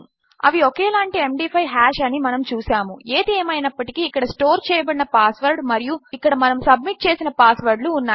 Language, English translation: Telugu, You can see theyre exactly the same MD5 hash, however this here is the stored password and this is the password that weve submitted